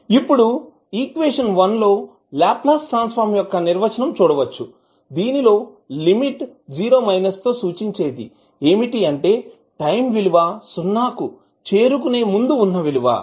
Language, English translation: Telugu, Now, in equation 1, which you just saw that is the definition of your Laplace transform the limit which is 0 minus indicates that we are talking about the time just before t equals to 0